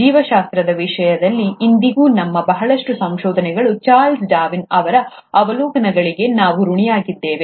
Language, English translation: Kannada, In terms of biology, even today, a lot of our discoveries, we owe it to the observations of Charles Darwin